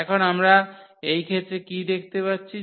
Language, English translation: Bengali, So, what do we see now in this case